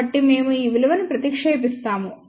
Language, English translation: Telugu, So, we substitute these values and find out that K is equal to 0